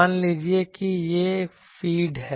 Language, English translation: Hindi, Suppose this is the feed